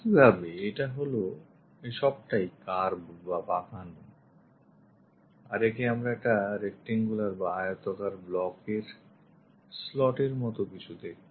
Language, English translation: Bengali, Similarly this is a entire one the curve this entire stuff comes out something like a slot a rectangular block we will see